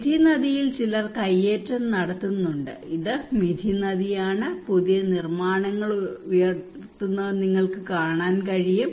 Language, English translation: Malayalam, There is also an encroachment by on Mithi river some people are encroaching, this is a Mithi river you can see that new constructions arouses